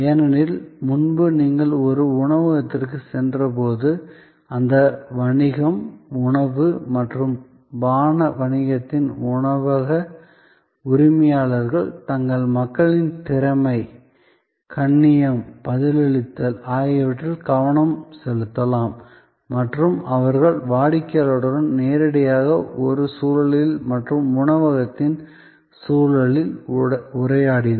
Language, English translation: Tamil, Because, earlier when you went to a restaurant, the restaurant owners of that business, food and beverage business could focus on the competencies, politeness, responsiveness of their people and they interacted face to face with the customer in an environment and ambiance of the restaurant